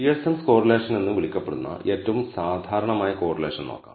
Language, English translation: Malayalam, So, let us look at the most common type of correlation which is called the Pearson’s correlation